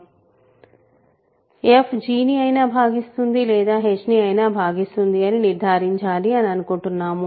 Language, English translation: Telugu, We would like to conclude that f divides either g or f divides h